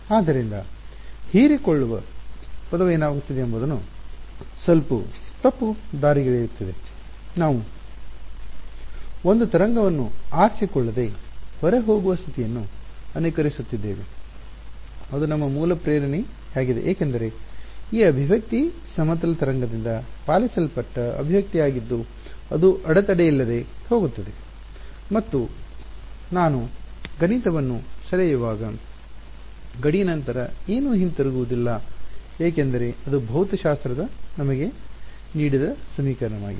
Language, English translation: Kannada, So, the word absorbing is slightly misleading what is happening is we are simulating the condition for a wave to go off unreflected that was our original motivation because this expression was the expression obeyed by a plane wave that is going unhindered and when I draw a mathematical boundary then nothing will come back because that is the equation that physics has given me